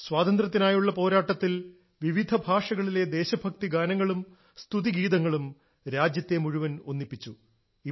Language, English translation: Malayalam, During the freedom struggle patriotic songs and devotional songs in different languages, dialects had united the entire country